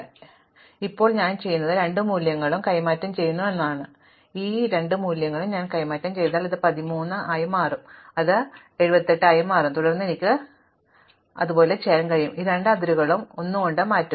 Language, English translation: Malayalam, So, now, what I do is, I exchange these two values, if I exchange these two values, then this will become 13, this will become 78 and then, I will be able to shift these two boundaries by 1